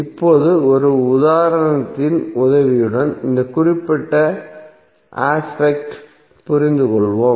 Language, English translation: Tamil, Now let us understand this particular aspect with the help of one example